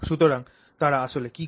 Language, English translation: Bengali, So, that is what it is doing